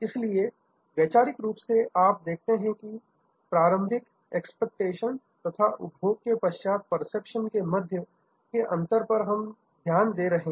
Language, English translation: Hindi, So, conceptually you will see, we are focusing on gap, the gap between initial expectations with post consumption, perception